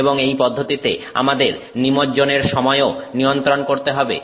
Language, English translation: Bengali, And in this process we also have to control the time of immersion